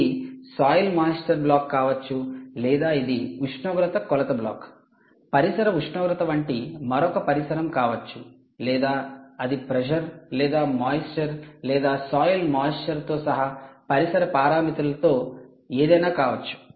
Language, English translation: Telugu, ok, it could either be a soil moisture block or it could be other ambient temperature measurement block, ambient temperature, or it could be pressure, it could be humidity or any one of the ambient parameters, including moist soil moisture